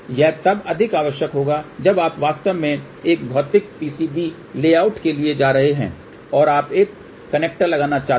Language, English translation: Hindi, This will be required more when you are actually going to have a physical PCB layout and you want to put a connector